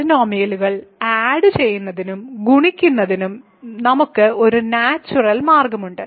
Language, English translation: Malayalam, So, this is a very natural way to add polynomials